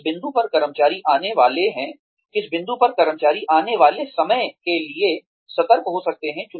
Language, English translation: Hindi, At which point, the employee can be alert to, whatever is about to come